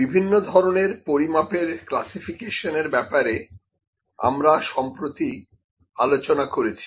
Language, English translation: Bengali, So, we discussed about the measurement classification